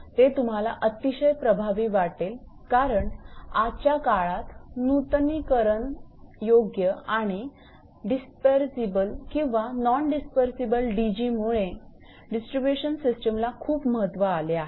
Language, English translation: Marathi, For example, that your because nowadays which because of renewal sources or dispersible or non dispersible DGs the distribution system getting more and more important